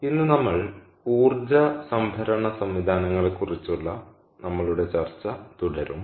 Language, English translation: Malayalam, so today we will continue our discussion on energy storage, ah systems